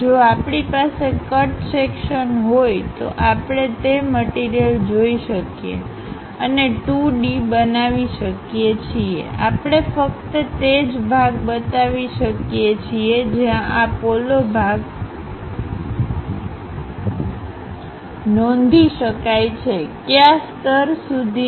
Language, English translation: Gujarati, In case if we have a cut section, we can clearly see the material and a 2 D level representation; we can show only that part, where this hollow portion one can note it, up to which level